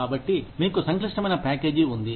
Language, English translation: Telugu, So, you have a complex package